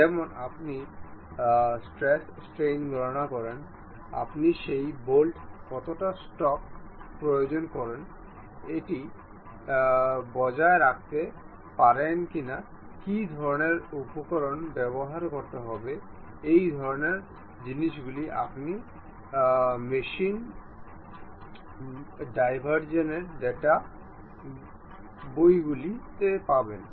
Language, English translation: Bengali, Like you calculate stresses, strains, how much stock you really apply on that bolt, whether it can really sustain, what kind of materials one has to use these kind of things you will get it in machine design data books